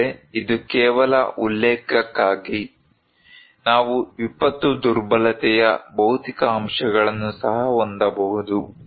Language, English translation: Kannada, But this is just for as a reference; we can have also physical factors of disaster vulnerability